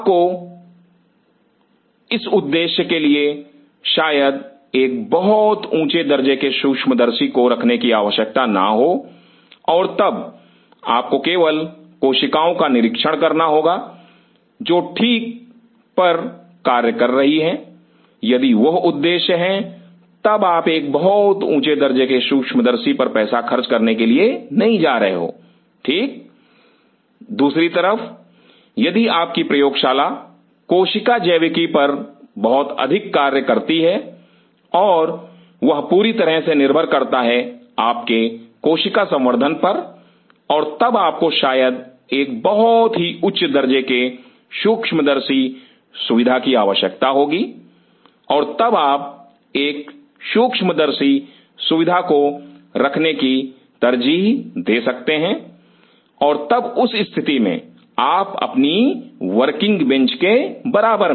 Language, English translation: Hindi, You probably may not need a very high end microscope for that purpose and then you just have to observe the cells they are doing fine, if that is the objective then you are not going to spend on a very high end microscope right, on the other hand if your lab does a lot of cell biology work and that completely relies on your cell culture and probably you may need a very high end microscope facility and you may prefer to have a microscopic facility then and there adjacent to your working bench